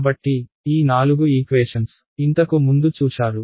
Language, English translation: Telugu, So, these four equations, we have all seen before